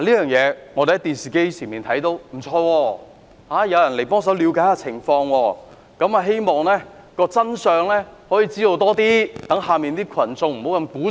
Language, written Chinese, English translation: Cantonese, 我們看到電視畫面，感覺還不錯，有人幫忙了解情況，希望可以弄清楚更多真相，讓下面的群眾減少鼓噪。, When we watched the television we felt good as someone tried to find out what happened in the hope of getting a better understanding of the truth to help ease the uproar of the crowds around